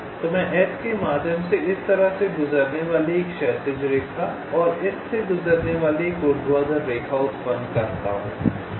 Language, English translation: Hindi, so i generate a horizontal line passing through s like this, and a vertical line passing through this